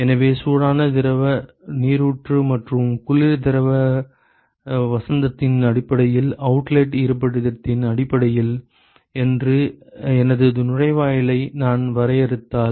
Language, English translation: Tamil, So, if I define my inlet based on the hot fluid spring and the location of outlet based on the cold fluid spring